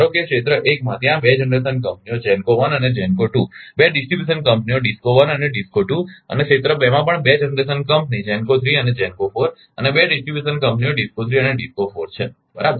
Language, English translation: Gujarati, Suppose in area 1 there are 2 generation companies GENCO 1 and GENCO 2, 2 distribution companies DISCO 1 and DISCO 2 and area 2 also 2 generation companies GENCO 3 and GENCO 4 and 2 distribution companies DISCO 3 and DISCO 4 right